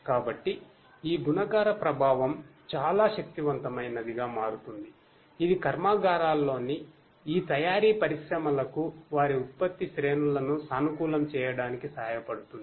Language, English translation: Telugu, So, this multiplicative effect becomes a very powerful thing which can help these manufacturing industries in the factories to optimize their product lines